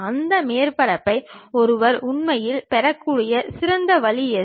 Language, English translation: Tamil, What is the best way one can really have that surface